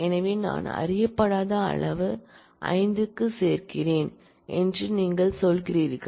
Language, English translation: Tamil, So, what you are saying that I am adding an unknown quantity to 5